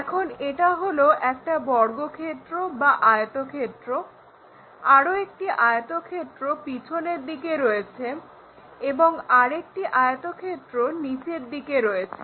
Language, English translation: Bengali, Here let us look at this, this is a square or rectangle, another rectangle on the back side and another rectangle on the bottom side